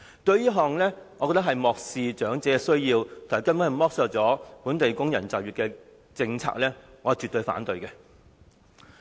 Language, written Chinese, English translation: Cantonese, 我認為這根本是漠視長者的需要、剝削本地工人就業的政策，我絕對反對。, I consider it absolutely a policy that disregards the needs of the elderly and exploits the employment of local workers . I resolutely oppose it